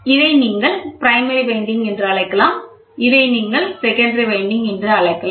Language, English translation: Tamil, So, you can call this as primary winding, this and this are called secondary winding, ok